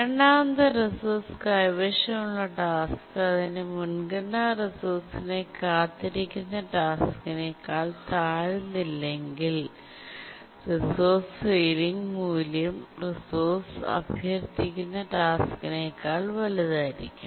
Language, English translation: Malayalam, But then the task holding the second resource, it priority does not drop below the task waiting for the resource, because the resource ceiling value must be greater than the task that is requesting the resource